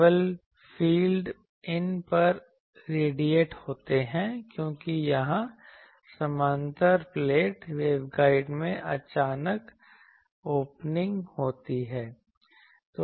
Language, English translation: Hindi, Only the fields radiate at these because here I have a that parallel plate waveguide suddenly has an opening